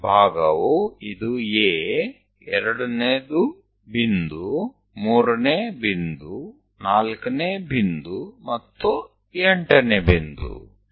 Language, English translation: Gujarati, So, the division is this is A first, second point, third point, fourth point, and eighth point